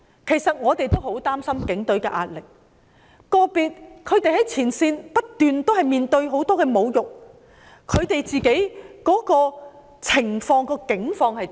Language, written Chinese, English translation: Cantonese, 其實，我們都很擔心警隊的壓力，個別警員在前線不斷面對很多侮辱，他們的境況是怎樣？, In fact we are very worried about the pressure sustained by the Police . Individual police officers are facing incessant insults on the front line . How are their conditions?